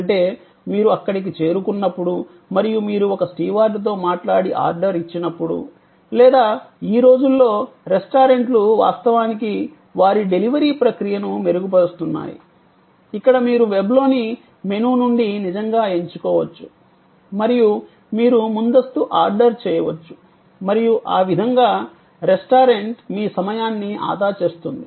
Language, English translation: Telugu, What, we call a supporting services is order entry, which can be done on site, that means, when you reach there and you talk to a steward and place an order or these days sometimes restaurants are actually enhancing their, you know delivery process, where you can actually select from a menu on the web and you can pre order and that way, the restaurant saves time, you save time, if it is so desired